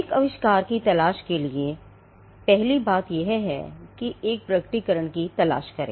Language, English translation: Hindi, To look for an invention, the first thing is to look for a disclosure